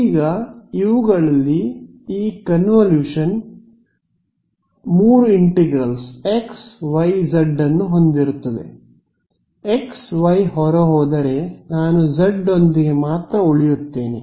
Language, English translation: Kannada, Now, off these when I this convolution will have 3 integrals xyz; x y will pop out right I will only be left with z right